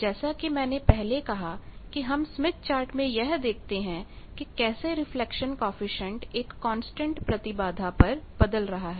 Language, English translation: Hindi, As I said that when we are saying smith chart is for constant impedance how the reflection coefficient vary